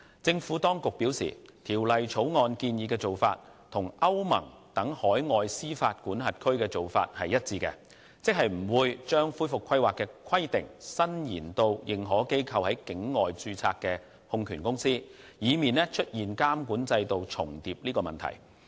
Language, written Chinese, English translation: Cantonese, 政府當局表示，《條例草案》建議的做法與歐盟等海外司法管轄區的做法一致，即不會把恢復規劃的規定伸延至認可機構在境外註冊的控權公司，以免出現監管制度重疊的問題。, The Administration has advised that the approach proposed in the Bill is consistent with overseas jurisdictions such as the European Union . In other words powers in relation to recovery planning will not be extended to AIs holding companies which are incorporated overseas to avoid duplication of supervisory regimes